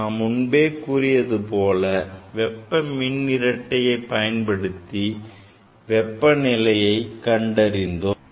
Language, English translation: Tamil, I mentioned already that the thermocouple was used for the measurement of temperature